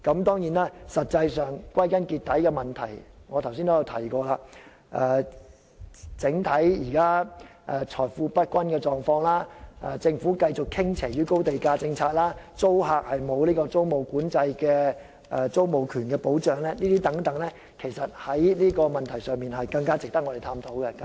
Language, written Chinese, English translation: Cantonese, 當然，歸根究底，正如我剛才提及，現時財富不均的整體狀況、政府繼續實行高地價政策、租客沒有租務管制的租住權保障等問題，其實更值得我們探討。, In the final analysis as I have just mentioned issues such as uneven distribution of wealth the Governments continuous implementation of the high land price policy and the lack of protection for the tenants tenure rights in the absence of rent control are more worthy of our discussion